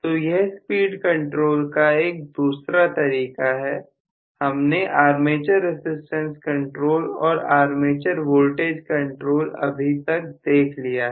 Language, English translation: Hindi, So this is the second method of speed control so we have seen armature resistance control and armature voltage control